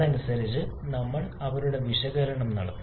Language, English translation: Malayalam, And accordingly, we have done their analysis